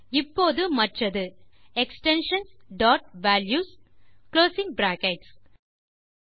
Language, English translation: Tamil, And now the other one is extensions dot values and closing brackets